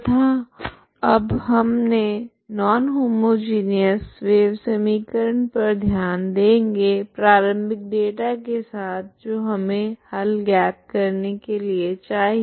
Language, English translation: Hindi, And now we we have considered non homogeneous wave equation with initial data for which we need to find the solution